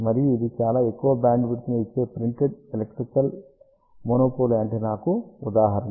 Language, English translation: Telugu, And this is the example of a printed electrical monopole antenna which gives very large bandwidth